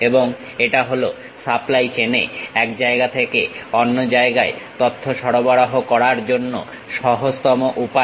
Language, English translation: Bengali, And, this is the easiest way of transferring information from one location to other location in the supply chain